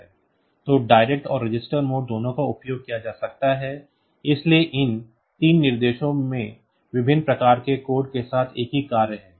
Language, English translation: Hindi, So, both direct and register mode can be used; so, these three instruction has same function with different type of code like